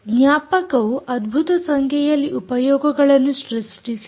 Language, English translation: Kannada, memory has created fantastic number of applications